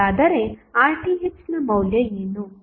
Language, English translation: Kannada, So, what would be the value of Rth